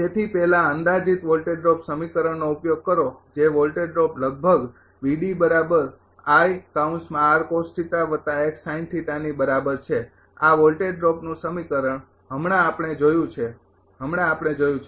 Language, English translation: Gujarati, So, first use the approximate voltage drop equation that is voltage drop approximately is equal to I r cos theta plus x sin theta this is the voltage drop equation just now we have seen just now we have